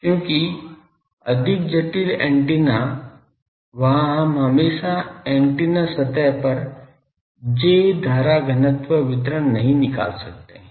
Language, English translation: Hindi, Because more complicated antennas there we cannot always find the J current density distribution on the antenna surface